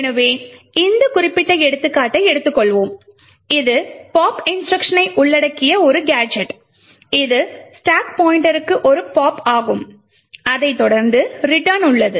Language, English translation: Tamil, So, for this we take this particular example of a gadget comprising of a pop instruction which is a pop to the stack pointer itself followed by a return